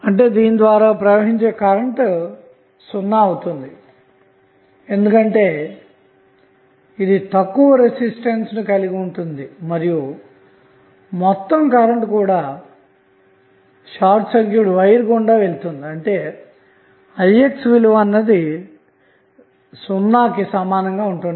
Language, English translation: Telugu, So, what happens when you short circuit resistance that means that the current flowing through resistance will be 0, because this will have the least resistance and whole current will pass through the short circuit wire that means that the value of Ix would be equal to 0